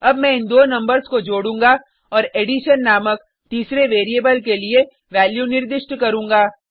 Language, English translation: Hindi, Now I added these two numbers and assign the value to a third variable named addition